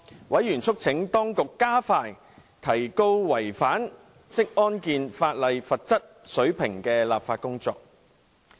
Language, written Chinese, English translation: Cantonese, 委員促請當局加快提高違反職業安全和健康法例的罰則水平的立法工作。, Members called on the authorities to expedite its legislative work to bring in higher penalty for breaching the legislation on occupational safety and health